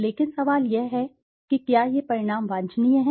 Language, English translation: Hindi, But the question is, are these results desirable